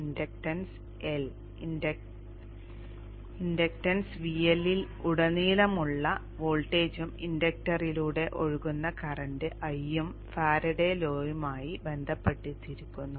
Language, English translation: Malayalam, The inductance L and the voltage across the inductance VL and the current I which is flowing through the inductor are related by the Faraday's law